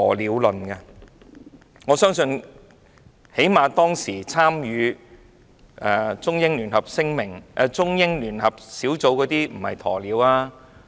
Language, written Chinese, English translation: Cantonese, 最低限度，我相信當時參與中英聯合聯絡小組的人並非"鴕鳥"。, Or at least I believe members of the Sino - British Joint Liaison Group did not avoid the issue like an ostrich